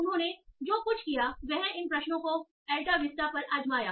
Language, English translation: Hindi, So what they did, they tried these queries over Alta Vista